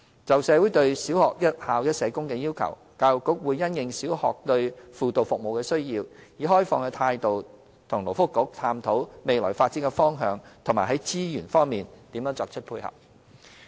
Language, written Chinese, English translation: Cantonese, 就社會對小學"一校一社工"的要求，教育局會因應小學對輔導服務的需要，以開放的態度與勞工及福利局探討未來的發展方向及在資源方面作出配合。, The Education Bureau is aware of the request in the community for one school one social worker for primary schools . Taking into consideration the needs of schools with regard to guidance service the Education Bureau will explore the future development with the Labour and Welfare Bureau with an open mind and make suitable resource provision correspondingly